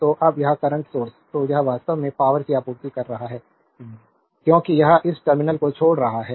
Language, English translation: Hindi, So, now, this current source so, it is actually supplying power because it is leaving this terminal